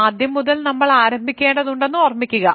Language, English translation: Malayalam, Remember we have to start from scratch here